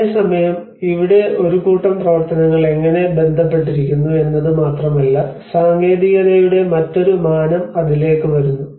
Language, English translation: Malayalam, \ \ Whereas here it is not only that how a set of activities are related to, there is a different dimension of technicality comes into it